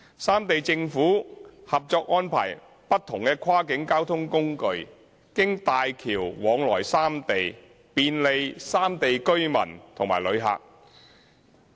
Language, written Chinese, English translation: Cantonese, 三地政府合作安排不同跨境交通工具經大橋往來三地，便利有不同交通需要的旅客。, The three Governments have already agreed to arrange different types of cross - boundary transport for travellers with various travel needs to travel to the three places using HZMB